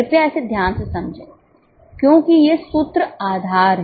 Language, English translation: Hindi, Please understand it carefully because these formulas are the base